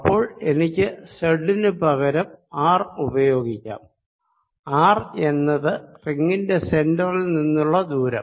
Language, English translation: Malayalam, so later i can replace this z by small r, where r will indicated the distance from the center